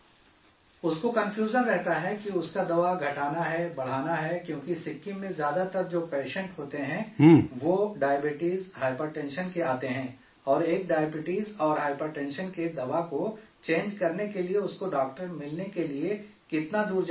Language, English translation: Urdu, He is confused whether his medicine has to be increased or decreased, because most of the patients in Sikkim are of diabetes and hypertension and how far he will have to go to find a doctor to change the medicine for diabetes and hypertension